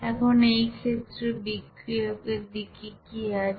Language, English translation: Bengali, Now in this case what are the reactant side